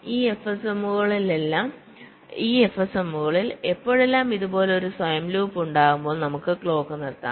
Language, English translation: Malayalam, so whenever in these f s ms there is a self loop like this, we can stop the clock